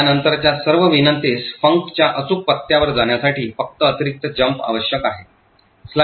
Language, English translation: Marathi, All subsequent invocations of func would just have an additional jump is required to jump to the correct address of func